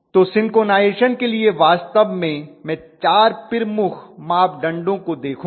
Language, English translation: Hindi, So for synchronization actually I will look at majorly 4 performance or 4 performance parameters